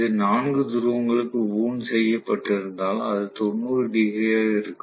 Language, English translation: Tamil, If it is wound for four poles, it will be 90 degrees